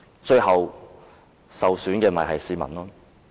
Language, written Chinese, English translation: Cantonese, 最後，受損的只是市民。, Those who suffer in the end are only members of the public